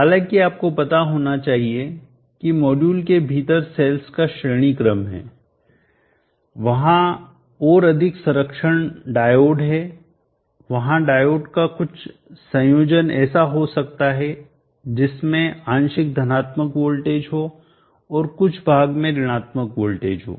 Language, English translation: Hindi, However you should know that within the module there cells series, there are more protection diode, there could be combination of diode partially having a positive voltage and parts of them are having negative voltage